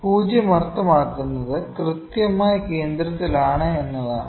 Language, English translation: Malayalam, 0 means exactly at centre